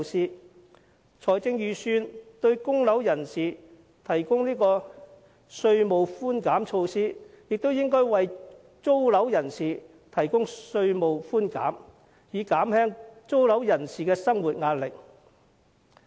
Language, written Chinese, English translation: Cantonese, 既然財政預算案為供樓人士提供稅務寬減措施，也應為租樓人士提供稅務寬減，以減輕租樓人士的生活壓力。, Since the Budget has provided tax concession measures for property mortgagors the same should also be provided for tenants so as to relieve their pressure of living